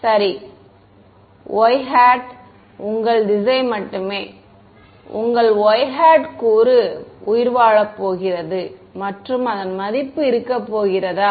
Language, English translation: Tamil, Right so, only the y hat direction, y hat component is going to survive and its value is going to be